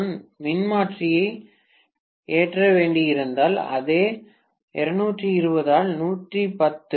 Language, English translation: Tamil, If I had to load the transformer, the same 220 by 110, 2